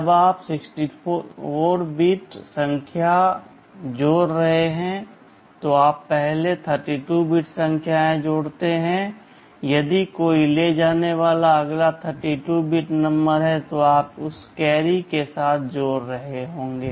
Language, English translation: Hindi, When you are adding two 64 bit numbers, you add first two 32 bit numbers, if there is a carry the next 32 bit numbers you would be adding with that carry